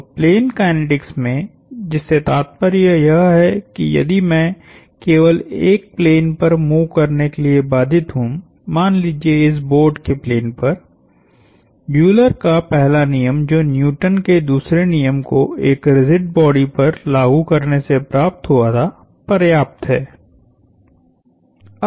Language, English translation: Hindi, So, in plane kinetics, meaning if I am constraint to move on a plane, let us say the plane of this board, the first Euler's law which was derived from applying the first this Newton's second law to a rigid body is sufficient